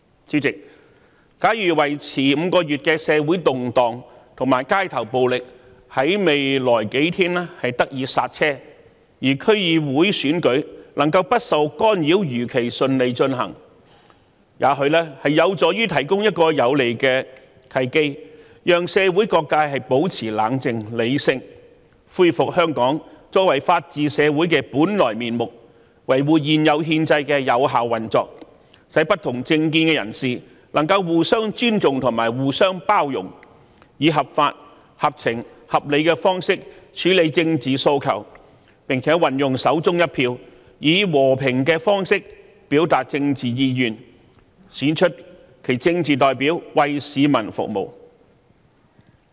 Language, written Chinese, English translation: Cantonese, 主席，假如持續5個月的社會動盪和街頭暴力在未來數天得以剎車，區議會選舉能夠不受干擾地如期順利舉行，這或許有助於提供一個有利的契機，讓社會各界保持冷靜和理性，恢復香港作為法治社會的本來面目，維護現有憲制的有效運作，使不同政見人士能互相尊重和互相包容，以合法、合情、合理的方式處理政治訴求，並運用手中一票，以和平的方式表達政治意願，選出其政治代表，為市民服務。, President if these five months of social unrest and street violence can end in the next few days making it possible to hold the DC Election smoothly as scheduled without any interference it may provide a favourable opportunity for people from all sectors of the community to remain calm and rational and to let Hong Kong restore its original state as a society upholding the rule of law . This will help to maintain the effective operation of the existing constitutional system thus promoting mutual respect and tolerance among people holding different political views and enabling them to address political aspirations in a lawful fair and reasonable manner . They may also exercise the votes in their hands to express their political aspirations peacefully thereby electing their political representatives to serve the people